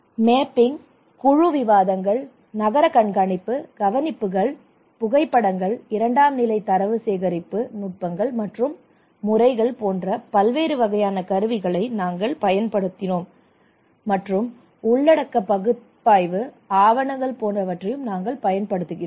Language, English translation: Tamil, We use different kind of tools like mapping, group discussions, town watching, observations, photographs, secondary data collection techniques and methods were also used like content analysis, documentations okay